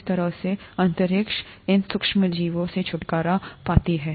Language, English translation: Hindi, That is how the space is gotten rid of these micro organisms